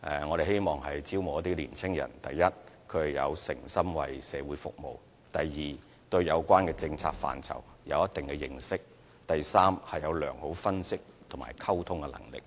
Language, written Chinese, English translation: Cantonese, 我們希望招募一批年青人：第一，誠心為社會服務；第二，對有關政策範疇有一定認識；及第三，具備良好分析及溝通能力。, We hope to recruit a batch of young people who meet the following criteria firstly strong commitment to serve the community; secondly good understanding of the policy area concerned; and thirdly good analytical and communication skills